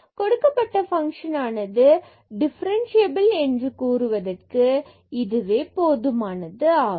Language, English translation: Tamil, And, then we have proved that this function is differentiable